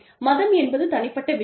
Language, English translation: Tamil, Religion is a personal matter